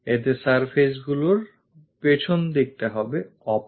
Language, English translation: Bengali, So, the back side of the surfaces will be opaque